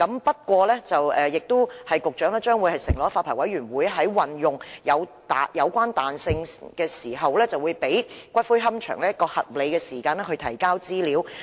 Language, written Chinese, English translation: Cantonese, 不過，局長承諾，發牌委員會在運用有關彈性時，會給予龕場合理的時間提供資料。, Nonetheless the Secretary has undertaken that in exercising such flexibility the Licensing Board will allow the columbarium reasonable time to provide the information